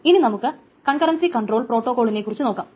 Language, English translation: Malayalam, So this is about concurrency control protocols